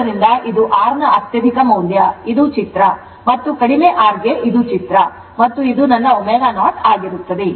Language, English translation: Kannada, So, this is very high value of R this is the plot and for low R this is the plot and this is my omega 0